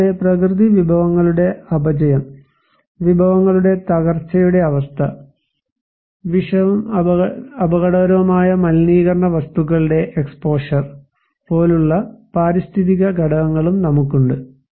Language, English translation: Malayalam, Also, we have environmental factors like the extent of natural resource depletions, the state of resource degradations, exposure to toxic and hazardous pollutants